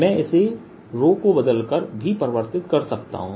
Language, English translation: Hindi, i could also change it by changing rho slightly